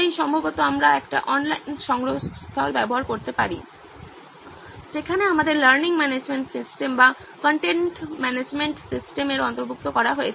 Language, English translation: Bengali, So probably we can use a online repository where our learning management system or content management system is incorporated into it